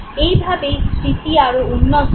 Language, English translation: Bengali, You have better memory